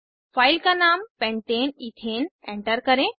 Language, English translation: Hindi, Select the file named pentane ethane from the list